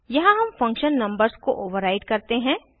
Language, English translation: Hindi, Here we override the function numbers